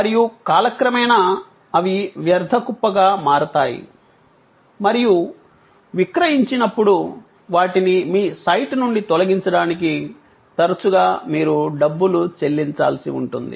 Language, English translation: Telugu, And over time, they become a junk heap and at sold off, often you have to pay for taking them away removing from your site